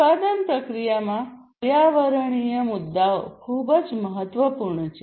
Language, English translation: Gujarati, So, environmental issues are very important in the manufacturing process